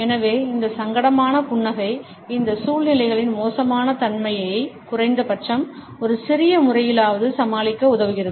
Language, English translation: Tamil, So, this embarrass the smile helps us to overcome the awkwardness of these situations in a little manner at least